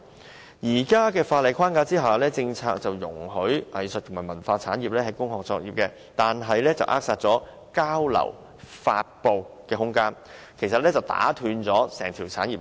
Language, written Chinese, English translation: Cantonese, 在現時的法例框架下，政策容許藝術及文化產業在工廈作業，卻扼殺了交流、發布的空間，打斷了整條產業鏈。, Despite the permission of arts and cultural industries to operate in industrial buildings the current legal framework stifles the room for exchanges and performances interrupting the entire industrial chain